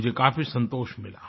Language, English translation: Hindi, That gave me a lot of satisfaction